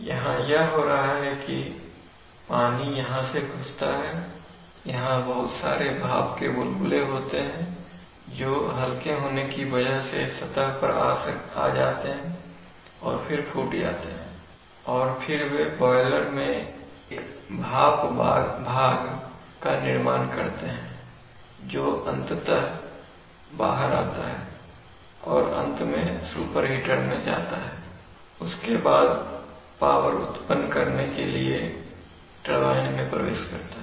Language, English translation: Hindi, So what happens is that without going into much details of boilers, let us what happens is that the water enters here, here are lots of bubbles, steam bubbles which actually come to the surface being lighter, they come to the surface and then the break and then they form a steam part in the boiler, which eventually goes out and finally goes to the super heater and then enters the turbine for power generation